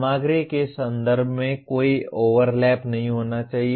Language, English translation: Hindi, There should not be any overlap in terms of the content